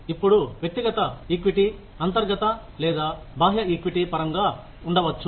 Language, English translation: Telugu, Now, individual equity is may be in terms of, internal or external equity